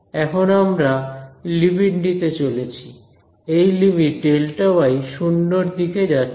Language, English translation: Bengali, So, I am going to take the limit; this limit delta y tending to 0